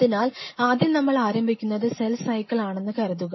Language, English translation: Malayalam, So, let us first of all talk about where we suppose to start is cell cycle